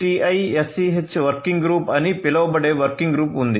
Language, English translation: Telugu, So, there is a working group which is known as the 6TiSCH working group 6TiSCH